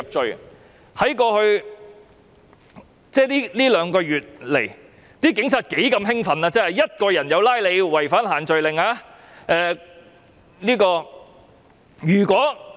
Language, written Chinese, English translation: Cantonese, 在過去兩個多月，警察是多麼的興奮，因為單獨一個人也會因違反限聚令而被捕。, Over the past two months or so the Police have been very excited because they can arrest a person on his own for not complying with the group gathering restrictions